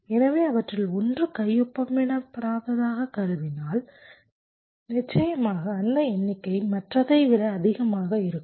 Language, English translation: Tamil, so if one of them is one, assuming to be unsigned, definitely that number will be greater than the other